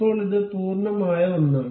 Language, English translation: Malayalam, So, now, it is a complete one